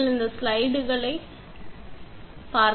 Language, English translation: Tamil, Till then you just go through these slides